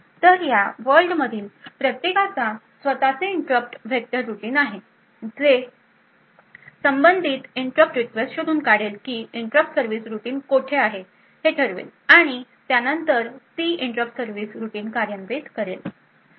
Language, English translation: Marathi, So, each of these worlds would have its own interrupt vector routine which would then look up the corresponding interrupt request determine where the interrupt service routine is present and then execute that corresponding interrupt service routine